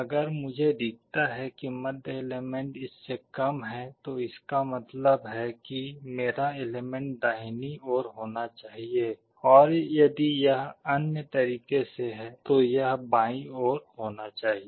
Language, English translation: Hindi, If I find the middle element is less than that, it means my element must be on the right hand side, or if it is other way around, then it must be on the left hand side